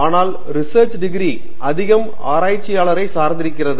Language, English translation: Tamil, But when a research degree lot of it depends on the researcher himself or herself